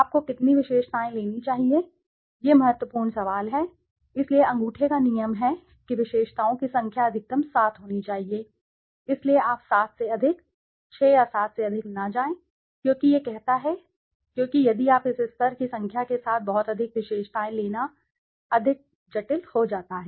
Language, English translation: Hindi, How many attributes should you take, this is the important question, so the rule of thumb is the number of attributes should be maximum up to 7, so you do not go more than 7, more than 6 or 7 as it says because if you take too many attributes with this number of levels it becomes more complicated